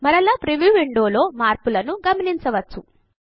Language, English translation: Telugu, Again notice the change in the preview window